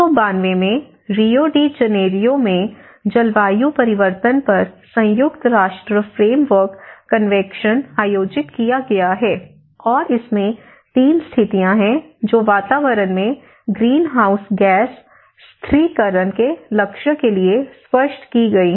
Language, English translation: Hindi, And what are the strategies and in 1992, in Rio de Janeiro,United Nations Framework Convention on Climate Change has been held, and it takes 3 conditions which has been made explicit towards the goal of greenhouse gas stabilization in the atmosphere